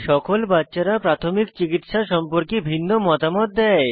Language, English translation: Bengali, All the children give different opinions about first aid